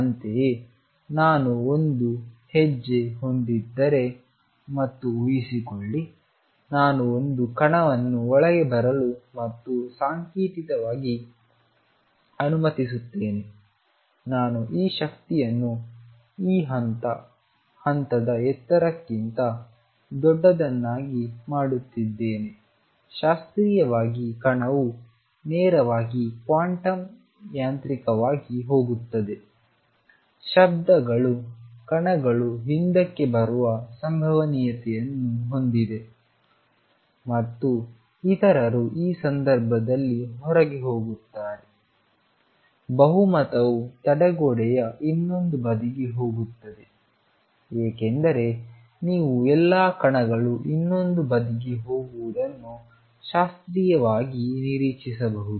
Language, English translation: Kannada, Similarly, if I have a step and suppose, I allow a particle to come in and symbolically, I am making this energy E to be greater than the step height classically the particle would just go straight quantum mechanically sound the particles have a probability of coming back and others go out in this case a majority would be going to the other side of the barrier as you would expect classically where all the particle go to the other side